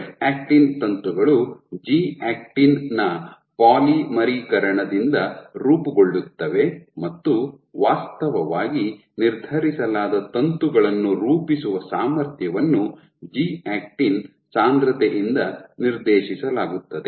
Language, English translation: Kannada, So, F actin filaments are formed by polymerization of G actin and the ability to form filaments actually determined is dictated by the concentration of G actin